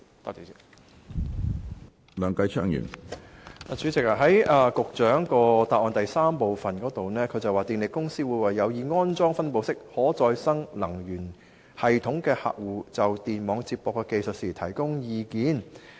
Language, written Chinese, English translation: Cantonese, 主席，局長的主體答覆第三部分說，電力公司會為有意安裝分布式可再生能源系統的客戶，就電網接駁的技術提供意見。, President part 3 of the Secretarys main reply says that power companies would provide advice to customers interested in installing the distributed RE systems on the technical aspects of the grid connection